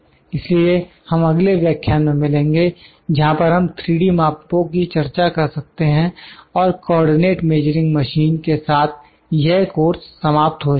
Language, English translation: Hindi, So, we will meet in the next lecture, where we might discuss the 3D measurements and the Co ordinate Measuring Machine with that the course would be complete